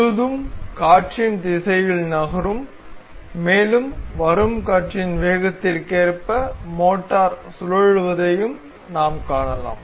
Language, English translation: Tamil, The whole set up moving along the direction of wind and also we can see the motor rotating as per the speed of the wind that will be coming